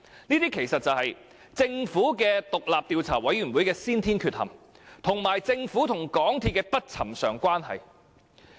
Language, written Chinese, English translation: Cantonese, 這其實可歸因於政府獨立調查委員會的先天缺陷，以及政府與港鐵公司的不尋常關係。, Actually this is attributable to the inherent flaws in the Governments independent Commission of Inquiry and the unusual relationship between the Government and MTRCL